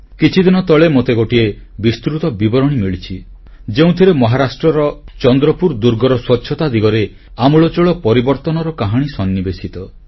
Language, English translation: Odia, A few days ago I received a very detailed report highlighting the story of transformation of Chandrapur Fort in Maharashtra